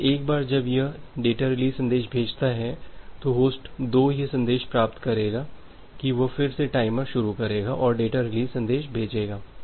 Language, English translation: Hindi, So, once it sending a data release message host 2 will receive that message it will again start the timer send the data release message